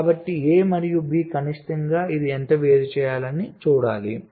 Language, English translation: Telugu, so, a and b: minimum, how much separation it should be